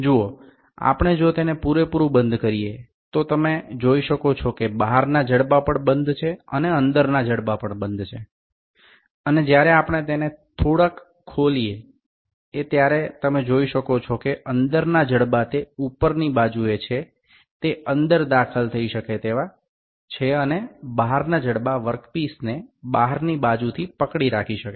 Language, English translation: Gujarati, See if we close it completely you can see the external jaws are also closed and internal jaws are also closed and when we open it a little, you can see this internal jaws which are on the upper side, they can be inserted inside and the external jaws are can be can hold the work piece from the outside